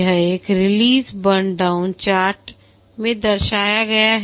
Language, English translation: Hindi, This is represented in a release burn down chart